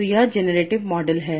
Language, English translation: Hindi, So what is the generative model